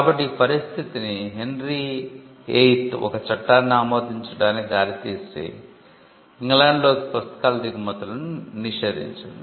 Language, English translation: Telugu, So, that led to Henry the VIII leading passing a law, banning the imports of books into England because printing technology was practiced everywhere